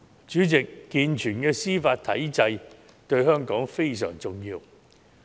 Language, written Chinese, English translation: Cantonese, 主席，健全的司法體制對香港非常重要。, President a sound judicial system is very important to Hong Kong